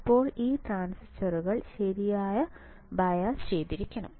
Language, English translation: Malayalam, Now this transistor should be biased properly biased correctly, right